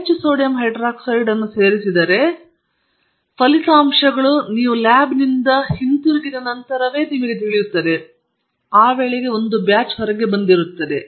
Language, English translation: Kannada, If you have added too much sodium hydroxide, you will know only after the results come back from the lab; by that time that batch is gone